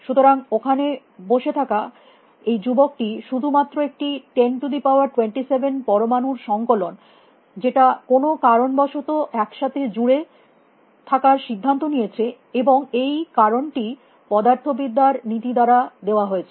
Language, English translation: Bengali, So, this young man sitting over there is just a collection of a 10 rise to 27 atoms which for some reason decide to stick together, and the reason is given by the laws of physics